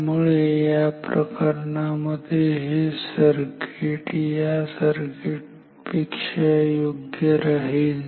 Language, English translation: Marathi, So, and that case this circuit will be better than this circuit